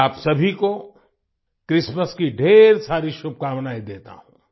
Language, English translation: Hindi, I wish you all a Merry Christmas